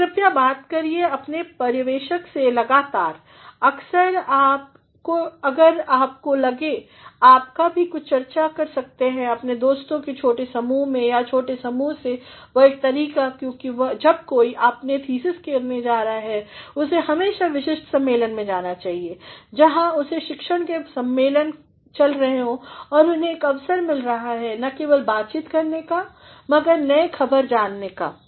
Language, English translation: Hindi, And, please interact with your supervisor continuously, at times if you feel you can also give small discussions to your small group of friends or to the small group and that is one way because when somebody is going to do a thesis one should always go to specific conferences, where the conferences of the discipline are going on and they get an opportunity not only to interact but to know the updates